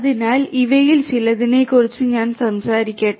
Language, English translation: Malayalam, So, let me talk about some of these